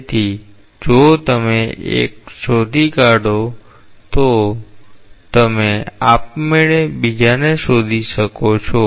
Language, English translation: Gujarati, So, if you find out one, you can automatically find out the other